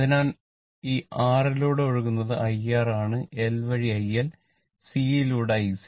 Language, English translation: Malayalam, So, current flowing through this R is IR, through L, IL and through IC right